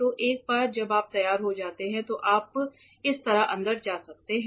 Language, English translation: Hindi, So, this once you are ready you can go in like this